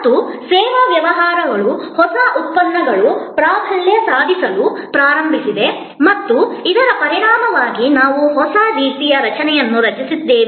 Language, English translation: Kannada, And service business says service outputs started dominating and as a result we have created a new kind of a structure